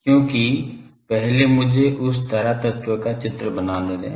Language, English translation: Hindi, Because first let me draw that the current element